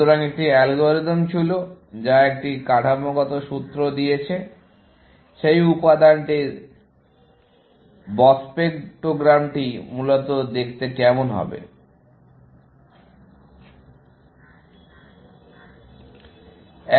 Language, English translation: Bengali, was an algorithm that given a structural formula, what will be the spectrogram of that material look like, essentially